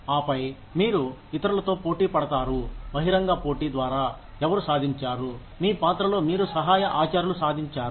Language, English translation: Telugu, And then, you will compete with others, through an open competition, who have achieved, what you have achieved, in your role as assistant professor